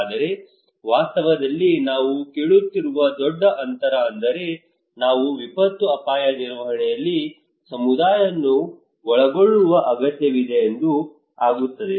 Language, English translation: Kannada, But in reality, there is a huge gap we are asking that okay we need to involve community into disaster risk management